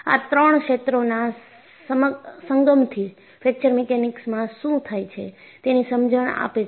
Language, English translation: Gujarati, So, the confluence of these three fields, give rise to an understanding of, what is Fracture Mechanics